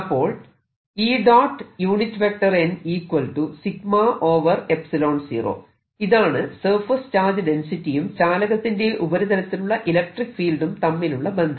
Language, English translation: Malayalam, this is how surface charge density and the electric field on the surface of conductor are related